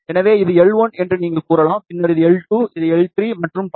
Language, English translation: Tamil, So, you can say that this is L 1, then this is L 2, L 3 and so on